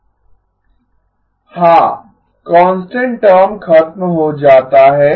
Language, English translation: Hindi, Yes, the constant term gets knocked off